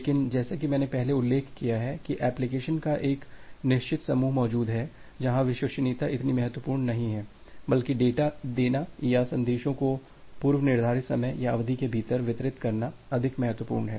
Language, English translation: Hindi, But as I have mentioned earlier that they are exist a certain group of applications where reliability are is not that much important; rather delivering the data or delivering the messages more important within a predefined time or duration